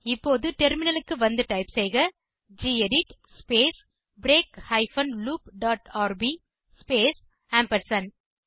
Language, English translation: Tamil, Now let us switch to the terminal and type gedit space break hyphen loop dot rb space ampersand